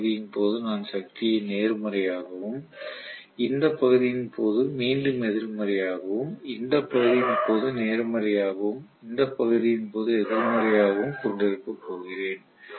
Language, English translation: Tamil, I am going to have the power positive during this portion, again negative during this portion, positive during this portion and negative during this portion